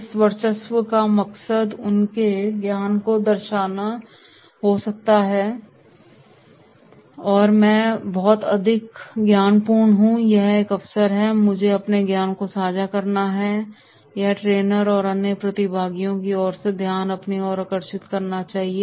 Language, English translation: Hindi, The aim of this domination may be to demonstrate their knowledge that “I am very much knowledgeable and therefore this is an opportunity so I should share my knowledge or wisdom,” or to seek attention from the trainer or other participants